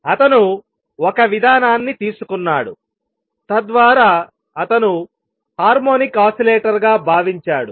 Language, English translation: Telugu, He took an approach whereby he considered the anharmonic oscillator